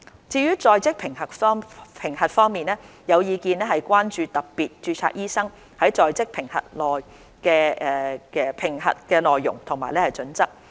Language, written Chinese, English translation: Cantonese, 至於在職評核方面，有意見亦關注特別註冊醫生的在職評核內容及準則。, Regarding on - the - job assessment there are concerns about the content and criteria of on - the - job assessment for doctors with special registration